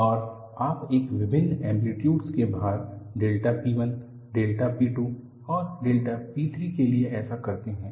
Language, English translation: Hindi, And, you do this for various amplitudes of the load applied, delta P 1, delta P 2 and delta P 3